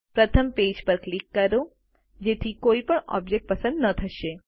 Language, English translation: Gujarati, First click on the page, so that none of the objects are selected